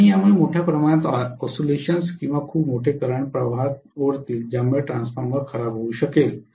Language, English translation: Marathi, And this will cause huge amount of oscillations or very large currents to be drawn in spurts because of which the transformer can malfunction